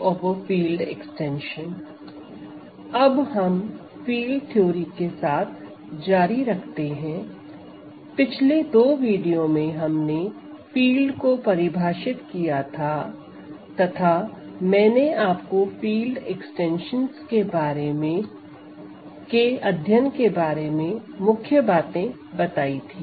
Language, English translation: Hindi, Let us continue now with Field Theory; in the last two videos we defined, fields we looked at Field Extensions which I told you are the primary objects of study in field theory